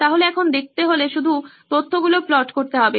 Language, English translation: Bengali, So now to find out just plot the data